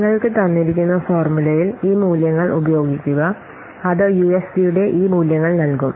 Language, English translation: Malayalam, So, use these values in the given formula that I already have given you and then it will give you this values of UFP